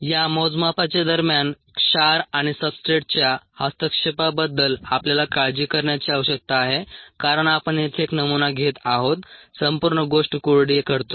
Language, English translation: Marathi, so for you need to worry about in during this measurement, interference by salts and substrates, also because your we are taking a sample here, drying out the whole thing